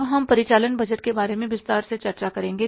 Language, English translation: Hindi, Now, we will discuss the operating budget a little bit more in detail